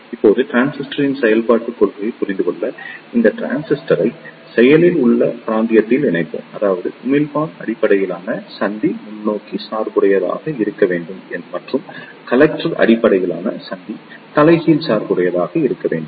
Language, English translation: Tamil, Now to understand the working principle of transistor, let us connect this transistor in active region; that means, the emitter based junction should be forward biased and the character based junction should be reverse biased